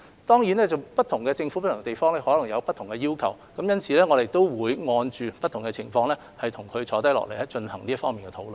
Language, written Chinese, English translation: Cantonese, 當然，不同地方的政府可能有不同的要求，因此，我們會按照不同情況跟這些政府坐下來進行這方面的討論。, Certainly different places will impose different requirements; therefore we will sit down and talk with these governments according to different situations